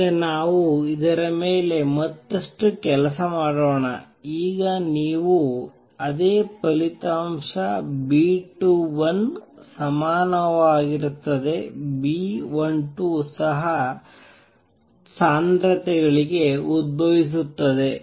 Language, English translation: Kannada, Now let us work on this further now you will see that same result B 21 equals B 12 would also arise for the concentrations